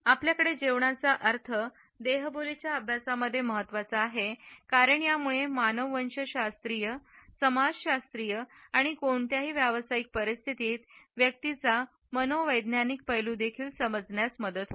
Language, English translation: Marathi, The connotations which we have from food are important in the studies of body language because it imparts us various associations with the anthropological, sociological and psychological makeup of individuals in any professional situations